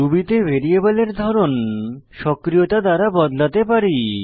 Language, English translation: Bengali, In Ruby you can dynamically change the variable type